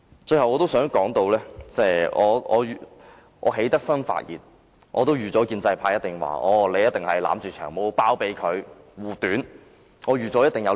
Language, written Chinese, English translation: Cantonese, 最後，我想說句，既然我決定發言，我早已預料建制派議員會批評我維護、包庇"長毛"，這是我意料之內的。, Finally I wish to say that as I have decided to speak I have already anticipated that pro - establishment Members will criticize me for defending and harbouring Long Hair . This is within my expectation